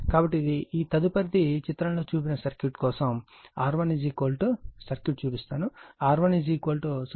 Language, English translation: Telugu, So, this one your next is for the circuit shown in figure that R 1 is equal to I will show you the circuit R 1 is given 0